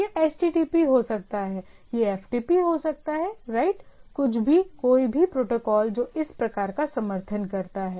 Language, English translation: Hindi, So, it can be HTTP, it can be FTP right; anything any protocol which support this type of thing